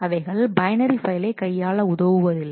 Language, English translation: Tamil, They do not handle binary files